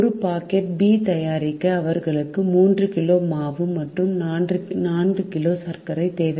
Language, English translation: Tamil, to make one packet of b, they need three kg of flour and four kg of sugar